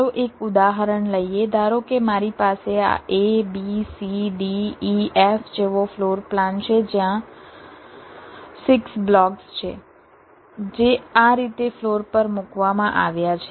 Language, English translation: Gujarati, suppose i have a floor plan like this: a, b, c, d, e, f, there are six blocks which are placed on the floor like this